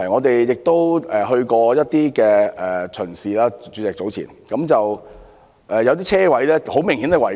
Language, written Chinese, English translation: Cantonese, 主席，我們早前亦曾視察一些停車場，有些泊車位明顯違規。, President earlier on we have also visited some car parks . Some parking spaces were obviously non - compliant